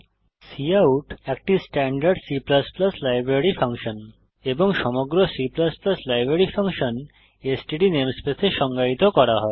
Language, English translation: Bengali, As cout is the standard C++ library function and the entire C++ library function is defined under std namespace Hence it is giving an error